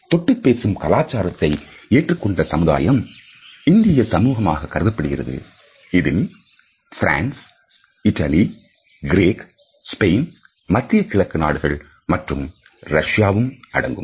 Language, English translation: Tamil, Cultures in which a touch is easily more accepted are considered to be the Indian society, the societies in turkey France Italy Greece Spain the Middle East parts of Asia as well as Russia